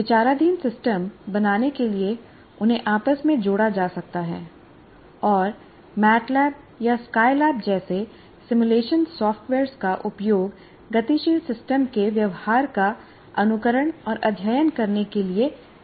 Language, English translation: Hindi, And they can be interconnected to create the system under consideration and simulation software like MAT Lab or SI lab can be used to simulate and study the behavior of a dynamic system